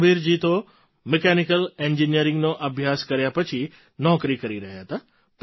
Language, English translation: Gujarati, Ramveer ji was doing a job after completing his mechanical engineering